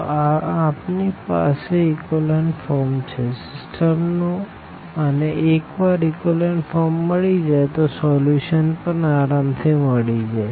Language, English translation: Gujarati, So, we have this echelon form of the system and once we reach to this echelon form we can get the solution very easily